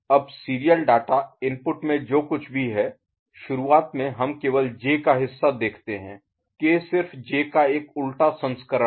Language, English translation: Hindi, Now; whatever is there in the serial data input, in the beginning we consider only the J part of it, K is just a you know inverted version of J